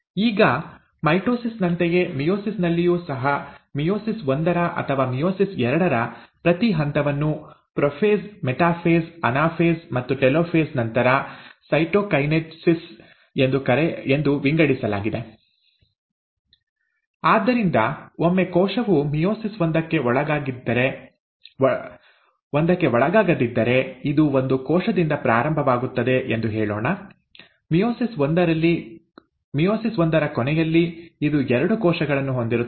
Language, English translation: Kannada, Now, similar to mitosis, in meiosis, each step of meiosis one, or meiosis two is divided into prophase, metaphase, anaphase, telophase, followed by cytokinesis one; so if once the cell undergoes meiosis one, let us say it starts with one cell; at the end of meiosis one, it will have two cells, alright